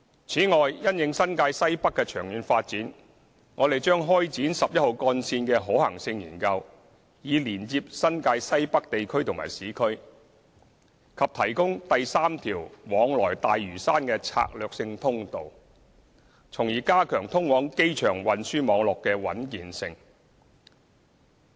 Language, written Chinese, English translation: Cantonese, 此外，因應新界西北的長遠發展，我們將開展十一號幹線的可行性研究，以連接新界西北地區和市區，以及提供第三條往來大嶼山的策略性通道，從而加強通往機場運輸網絡的穩健性。, Besides in view of the long - term developments in the Northwest New Territories we will commence a feasibility study on Route 11 so as to connect the Northwest New Territories and the urban areas and provide a third strategic access to Lantau thus enhancing the robustness of the road network connecting to the airport